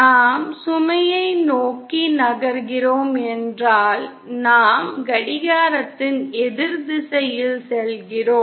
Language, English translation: Tamil, If we are moving towards the load, we are going in an anticlockwise direction